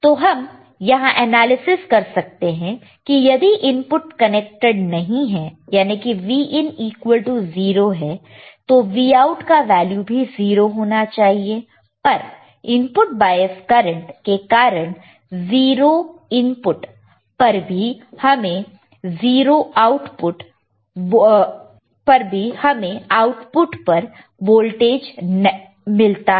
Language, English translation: Hindi, So, it can be analyzed that if input is not connected Vin equals to 0 and ideally Vout equals to 0, but because of input bias current there is an output voltage even at 0 input